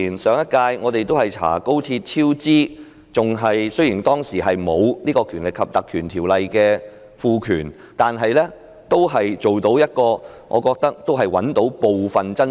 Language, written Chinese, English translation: Cantonese, 上一屆我們曾調查廣深港高速鐵路超支，雖然當時沒有《條例》賦予的權力，但我認為可以找出部分真相。, During the last term we conducted an inquiry into the cost overrun incurred by the Guangzhou - Shenzhen - Hong Kong Express Rail Link XRL . Even though we did not have the powers conferred by PP Ordinance I think we were able to find out part of the truth